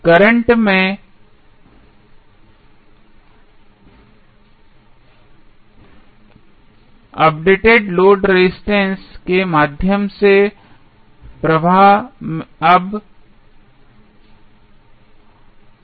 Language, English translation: Hindi, Current now, flowing through the updated load resistors is now Il dash